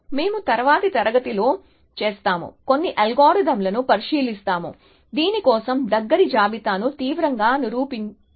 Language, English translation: Telugu, So, we will do that in the next class, we will look at some algorithms for which drastically proven the close list